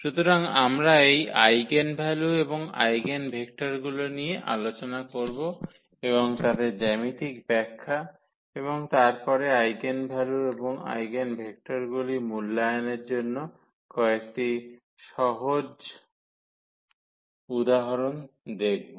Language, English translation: Bengali, So, we will go through the introduction of these eigenvalues and eigenvectors and also their geometrical interpretation and, then some simple examples to evaluate eigenvalues and eigenvectors